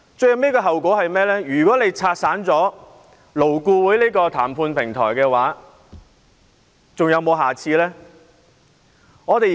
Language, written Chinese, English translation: Cantonese, 如果反對派議員拆散了勞顧會這個談判平台，還會有下一個平台嗎？, In case LAB the negotiation platform is dismantled by the opposition Members will there be another similar platform in the future?